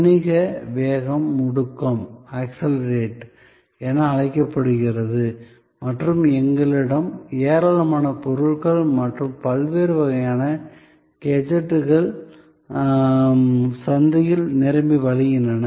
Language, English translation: Tamil, The business velocity as it is called accelerate and we had a plethora of goods and gadgets of various types flooding the market